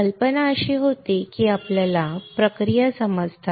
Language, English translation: Marathi, The idea was that you understand the processes